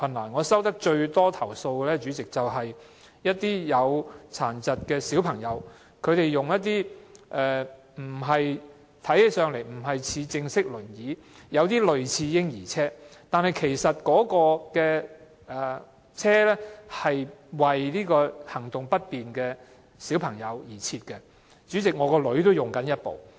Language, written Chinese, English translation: Cantonese, 主席，我收到最多投訴的是，一些身體有殘疾的小朋友使用的輪椅，雖然看起來不是正式的輪椅，而是有點類似嬰兒車，但那種輪椅是特別為行動不便的小朋友而設，主席，我的女兒也正在使用。, President the most complaints that I have received concern the wheelchairs used by disabled children . While this kind of wheelchairs does not look like the standard wheelchairs but more like baby strollers they are specially made for children with mobility problems and President my daughter is also using one now